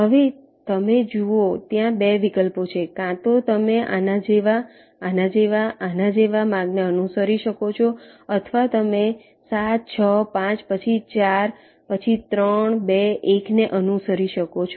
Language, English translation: Gujarati, either you can follow a path like this, like this, like this, or you can follow seven, six, five, then four, then three, two, one